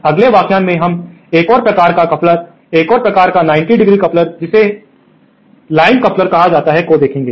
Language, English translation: Hindi, In the next lecture we will cover another type of coupler, another type of 90¡ coupler called coupled line couplers